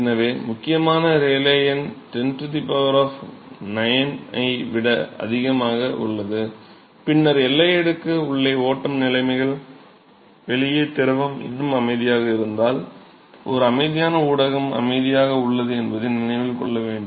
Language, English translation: Tamil, So, the critical Rayleigh number exceeds 10 power 9, then the flow conditions inside the boundary layer remember that if the flow conditions inside the boundary layer the fluid outside is still at rest is a quiescent medium is at rest